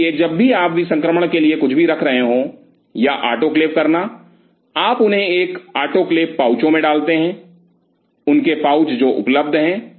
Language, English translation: Hindi, So, whenever you are keeping anything for a sterilization or autoclaving you put them in an autoclave pouches, their pouches which are available